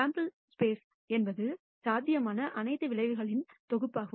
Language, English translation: Tamil, The sample space is the set of all possible outcomes